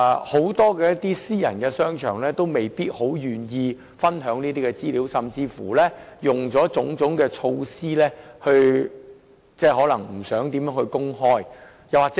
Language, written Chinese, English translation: Cantonese, 很多私人商場未必願意分享，甚至採取種種措施避免公開這些資料。, A number of private shopping malls may not be willing to share such information or even exhaust every means to avoid its disclosure